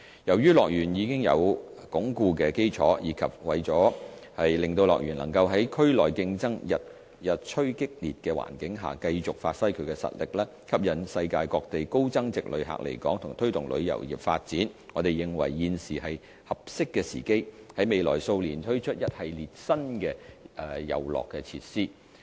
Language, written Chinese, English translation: Cantonese, 由於樂園已有穩固的基礎，以及為了令樂園能在區內競爭日趨激烈的環境下，繼續發揮其實力，吸引世界各地高增值旅客來港和推動旅遊業發展，我們認為現時是合適的時機，在未來數年推出一系列新的遊樂設施。, With the solid foundation of HKDL we consider that it is the right opportunity to roll out a series of new attractions in the next few years so as to enable HKDL to continue to play to its strength in attracting high value - added visitors from all over the world to Hong Kong and fostering tourism development amidst intensifying competition in the region